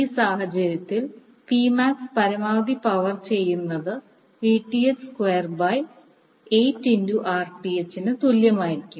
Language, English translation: Malayalam, In this case P max the maximum power which would be transferred would be equal to Vth square by 8 into Rth